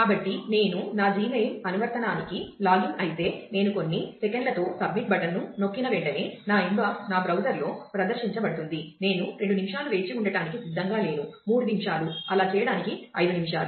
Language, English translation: Telugu, So, if I log in to my Gmail application, and I would expect that as soon as I press the submit button with a couple of seconds, my inbox will be displayed on my browser, I am not ready to wait for 2 minutes, 3 minutes, 5 minutes for doing that